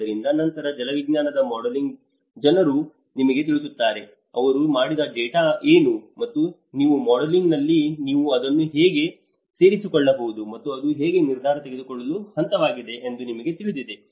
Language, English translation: Kannada, So, then the hydrological modeling people will tell you, you know what is the data they have done and how you can incorporate that in your modeling and how that can be informative decision making level